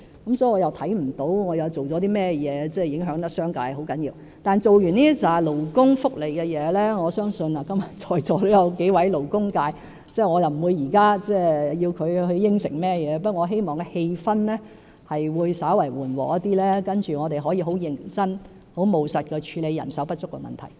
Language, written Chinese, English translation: Cantonese, 所以，我看不到我做了甚麼對商界造成嚴重影響，但在完成這些勞工福利的工作後，我相信今天在座也有幾位勞工界議員，我不會現在要求他們答應甚麼，但我希望氣氛會稍為緩和，讓我們可以很認真和務實地處理人手不足的問題。, Therefore I do not see what I have done that will seriously affect the business sector . But after implementation of these initiatives for the benefit of workers and I believe there are several Members from the labour sector in the Chamber today while I will not ask them to make any promise now I hope that the atmosphere can be eased a bit so that we can address the problem of labour shortage seriously and pragmatically